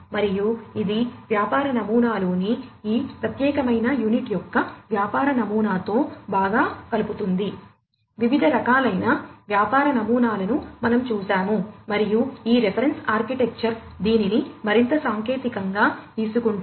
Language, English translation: Telugu, And this connects well with the business model of this particular unit in the business model, we have seen the different types of business models that could be adopted and this reference architecture is the one which takes it further technically